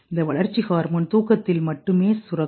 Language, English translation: Tamil, Like this growth hormone is only secreted during sleep